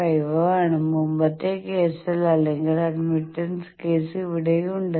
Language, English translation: Malayalam, 55 is here, in previous case or admittance case is here